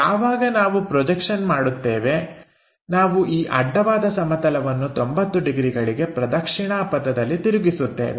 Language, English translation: Kannada, Once we have that projection we unfold this horizontal plane by 90 degrees in the clockwise direction